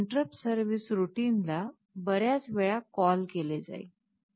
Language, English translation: Marathi, So, the interrupt service routine will be called so many times